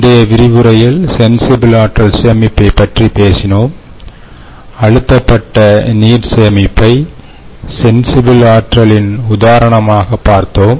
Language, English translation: Tamil, so in the last class ah, we talked about sensible energy storage and looked at pressurized water storage as an example of sensible energy storage